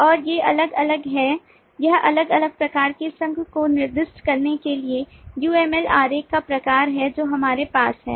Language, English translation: Hindi, this is the kind of the uml diagram to specify the different kinds of association that we have